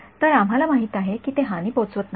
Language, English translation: Marathi, So, we know that they do not cause damage right